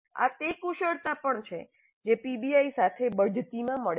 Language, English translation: Gujarati, These are also the skills which get promoted with PBI